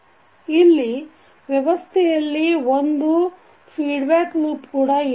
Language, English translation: Kannada, So in this case the system has one feedback loop also